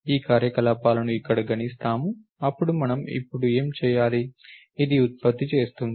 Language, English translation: Telugu, We compute these operations over here, then what do we have to do now, this will generate